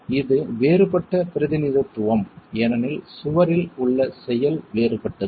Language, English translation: Tamil, This is a different representation because the action on the wall is different